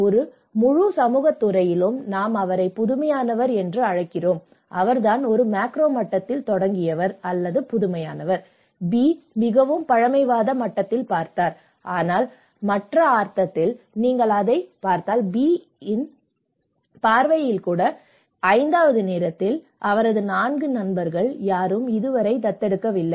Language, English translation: Tamil, And we call; we can call him at an innovative at you know, in a whole community sector, he is the one who started that is innovative at a macro level and B could be looked in a more of a conservative level but in the other sense, if you look at it in the B, even at time 5, his none of; 4 of his friends have not still adopted but he is one who has taken a step forward